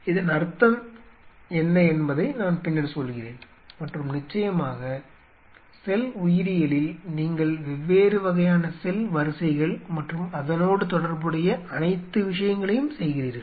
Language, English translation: Tamil, I will come later what does that mean and of course, in a point of cell biology there you are doing with different kind of cell lines and all the stuff